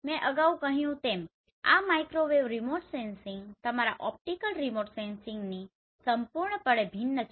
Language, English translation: Gujarati, As I mentioned earlier this Microwave Remote Sensing is completely different from your optical remote sensing